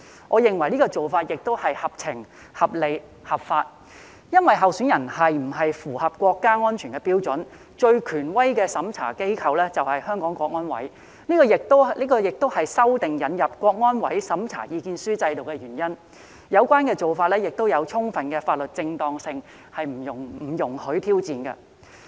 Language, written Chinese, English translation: Cantonese, 我認為這做法合情、合理、合法，因為候選人是否符合國家安全的標準，最權威的審查機構便是香港國安委，這亦是修訂引入國安委審查意見書制度的原因，有關做法具充分的法律正當性，不容挑戰。, I consider this sensible reasonable and legitimate because the most authoritative organization to examine whether a candidate meets the criteria of national security is CSNS . This is also the reason why amendments are made to introduce the system involving CSNSs opinion . Having full legal legitimacy such an approach is not subject to challenge